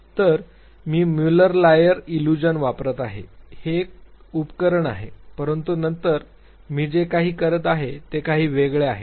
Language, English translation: Marathi, So, I am using Muller Lyer illusion, that very apparatus, but then what I am doing is little different